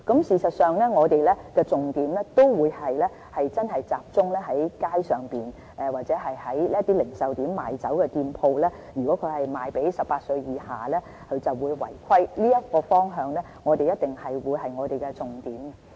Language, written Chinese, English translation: Cantonese, 事實上，我們的重點都會集中在街上或零售點中賣酒的店鋪，如果他們售賣給18歲以下人士就會違規，這個方向一定是我們的重點。, Actually we will emphasize on street stores or retail outlets where liquor is on sale and focus on the sale of such commodities to people under 18 years old